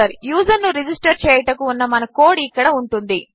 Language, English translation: Telugu, Our code to register the user will go here